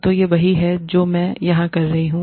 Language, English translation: Hindi, So, this is what, I am doing here